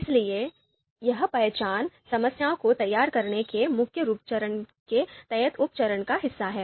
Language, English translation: Hindi, So that identification is sub step under this formulate the problem